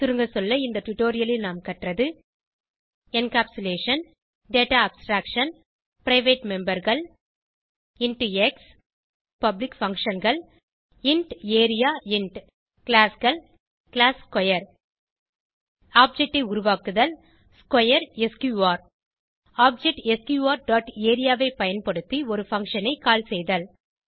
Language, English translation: Tamil, Let us summarize In this tutorial we have learnt, Encapsulation Data Abstraction Private members int x Public functions int area Classes class square To create object square sqr To call a function using object sqr dot area() As an assignment write a program to find the perimeter of a given circle